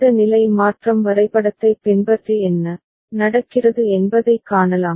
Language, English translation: Tamil, And you can follow this state transition diagram and see what is happening